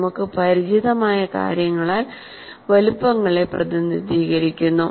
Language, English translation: Malayalam, And here sizes are represented by some of the things that we are familiar with